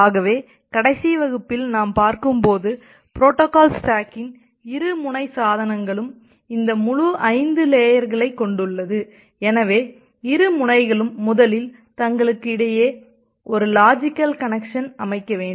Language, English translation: Tamil, So, as we are looking or discussing in the last class, that the two end of the devices which has the entire 5 layers of the protocol stack, so the two end need to first setup a logical connection between themselves